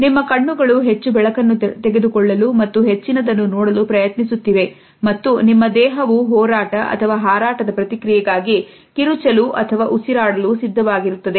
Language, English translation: Kannada, Your eyes go up to take in more light and see more and your mouth is ready to set up your body for the fight or flight response, either to scream or to breath